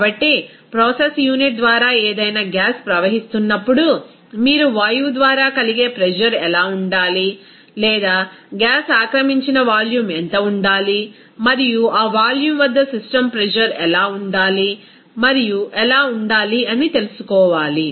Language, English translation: Telugu, So, whenever any gas will be flowing through the process unit you have to know what should be the pressure that is exerted by the gas or what should be the volume occupied by the gas and at that volume what should be the system pressure and also how the temperature will be used to change that volume accordingly